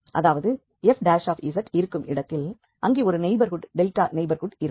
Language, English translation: Tamil, So, around 0 if there exists a neighborhood delta neighborhood